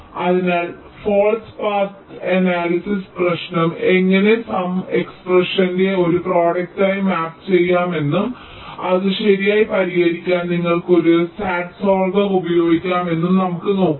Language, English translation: Malayalam, so let us see how the false path analysis problem can be mapped into a product of sum expression and you can use a sat solver